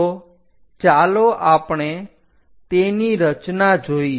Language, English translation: Gujarati, So, let us look at the picture